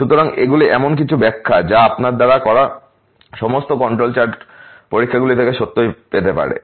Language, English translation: Bengali, So, these are some of the interpretation that you can really have from all the control charts experiments that you have done